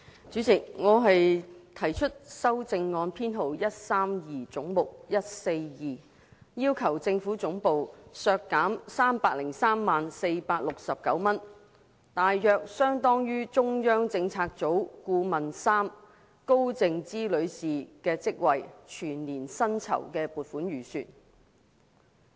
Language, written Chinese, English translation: Cantonese, 主席，我提出的修正案編號為 132， 關乎總目 142， 要求政府總部削減 3,030,469 元，大約相當於中央政策組顧問3高靜芝女士的職位的全年薪酬預算開支。, Chairman the amendment proposed by me is No . 132 relating to head 142 demanding that the expenditure of the Government Secretariat be reduced by 3,030,469 approximately equivalent to the estimated annual emoluments for the post of Ms Sophia KAO Member 3 of the Central Policy Unit CPU